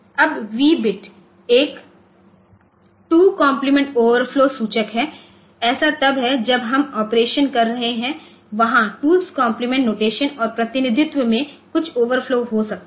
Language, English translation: Hindi, Then the V bit is a two s complement overflow indicator it is like when we are doing the operation so, there may be some overflow in the two s complement notation and representation